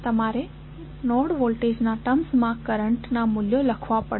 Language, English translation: Gujarati, You have to write the values of currents in terms of node voltages